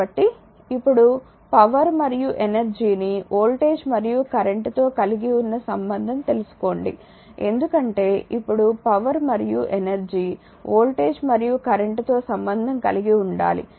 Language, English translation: Telugu, we know we now we now relate the power and energy to voltage and current, because we have to relate now power and energy to the voltage as well as the current